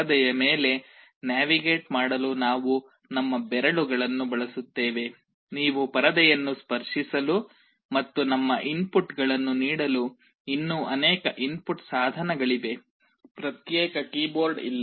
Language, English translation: Kannada, We use our fingers to navigate on the screen; there are many other input devices where you can touch the screen and feed our inputs; there is no separate keyboard